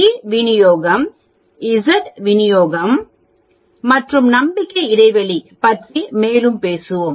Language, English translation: Tamil, We will talk more about t distribution, Z distribution and also confidence interval